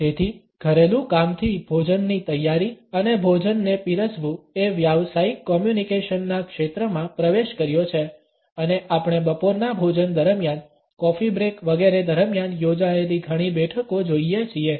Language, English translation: Gujarati, So, from a domestic chore the preparation and serving of food has entered the realm of professional communication and we look at several meetings being conducted over a lunch, during coffee breaks etcetera